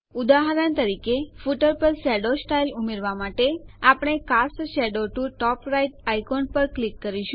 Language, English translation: Gujarati, For example , to put a shadow style to the footer, we click on the Cast Shadow to Top Right icon